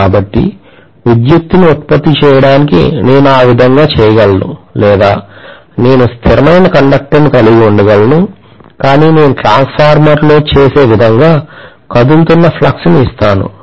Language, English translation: Telugu, So I can do it that way to generate electricity or I can simply have a stationary conductor but I am going to probably provide with an alternating current like I do in a transformer